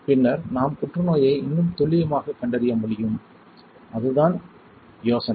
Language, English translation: Tamil, Then we will be able to diagnose cancer probably with much more accuracy alright that is the idea